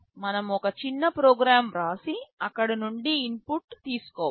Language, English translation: Telugu, We can write a small program and take input from there